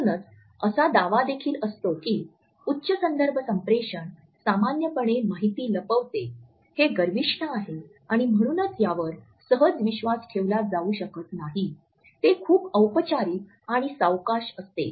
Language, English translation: Marathi, It therefore, also claims that high context communication normally hides information, it is arrogant and therefore, it cannot be trusted easily, it is too formal; too slow etcetera